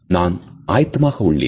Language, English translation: Tamil, I am ready